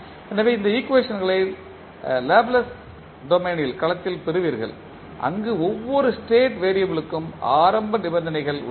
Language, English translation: Tamil, So, you will get these equations in Laplace domain where you have initial conditions for each every state variable